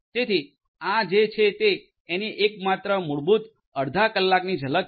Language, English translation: Gujarati, So, these are the only very basic half an hour kind of glimpse of what is there